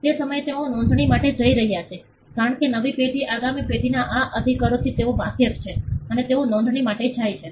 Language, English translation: Gujarati, At that point they are going for a registration, because the next generation at the new generation they are aware of these rights and they go in for a registration